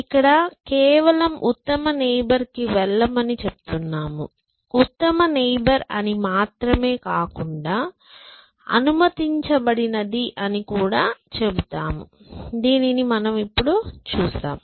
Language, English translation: Telugu, Here, we are simply saying just move to the best neighbor, but not just a best neighbor, but something called allowed essentially, which we will look at now essentially